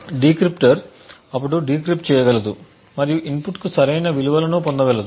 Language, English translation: Telugu, The decryptor would then be able to decrypt and get the correct values for the inputs